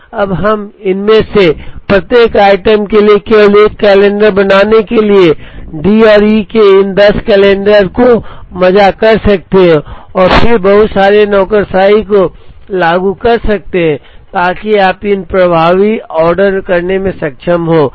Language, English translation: Hindi, Now, we can merge these 10 calendars of D and E to make only one calendar for each of these items and then apply the lot sizing heuristic so that, you are able to order these effective